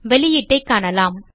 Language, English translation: Tamil, Let us see the output